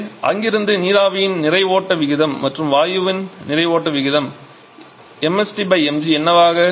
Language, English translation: Tamil, So, from there you will be getting the ratio of the mass flow rate of steam and mass flow rate of gas